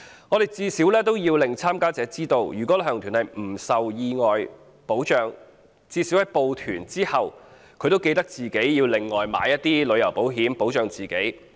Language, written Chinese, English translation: Cantonese, 我們最少也要令參加者知道，如果旅行團不受有關基金或計劃保障，參加者最少應在報團後自行另購旅行保險，保障自己。, We should at least let the participants know that if the tour group is not protected by the relevant Fund or Scheme they should at least separately take out travel issuance on their own to protect themselves after enrolling in the tour group